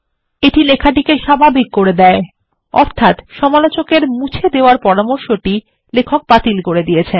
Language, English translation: Bengali, This makes the text normal, ie the suggestion of the reviewer to delete, has been rejected by the author